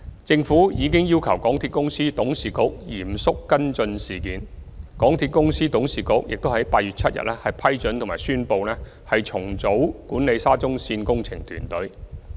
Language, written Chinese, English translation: Cantonese, 政府已要求港鐵公司董事局嚴肅跟進事件，港鐵公司董事局已於8月7日批准及宣布重組管理沙中線工程團隊。, The Government has requested the Board of MTRCL to seriously follow up the incident . The Board already approved and announced the restructuring of the management team for the SCL project on 7 August